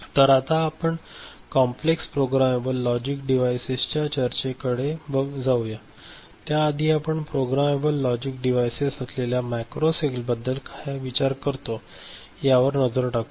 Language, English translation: Marathi, So, with this we go to what is called complex programmable logic device, so before that we just take a look at what we consider a macro cell of a programmable logic device ok